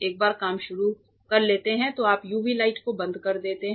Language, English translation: Hindi, Once that is done once you before you start work you switch off the UV light